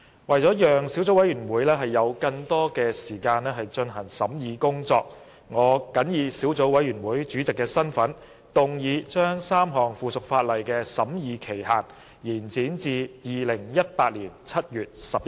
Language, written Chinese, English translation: Cantonese, 為了讓小組委員會有更多時間進行審議工作，我謹以小組委員會主席的身份，動議將3項附屬法例的審議期限延展至2018年7月11日。, To allow more time for the Subcommittee to conduct the scrutiny work I move in my capacity as Chairman of the Subcommittee that the period for scrutinizing the three pieces of subsidiary legislation be extended to 11 July 2018